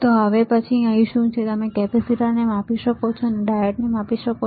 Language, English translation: Gujarati, So, next one, here what is that you can measure capacitor, you can measure diode